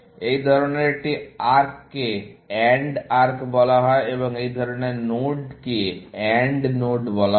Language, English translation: Bengali, Such an arc is called as AND arc, and such a node is called an AND node